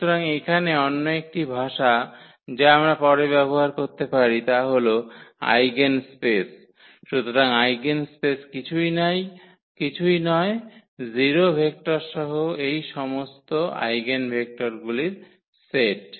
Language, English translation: Bengali, So, another terminology here which we may use later that is eigenspace; so, eigenspace is nothing, but the set of all these eigenvectors including the 0 vector ok